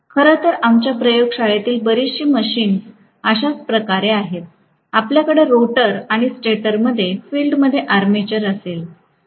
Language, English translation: Marathi, In fact, many of the machines in our laboratory are that way, we are going to have the armature in the rotor and field in the stator, right